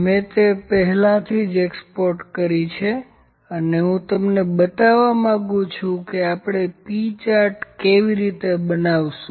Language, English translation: Gujarati, I have already exported that and like to show you that how do we construct the P Chart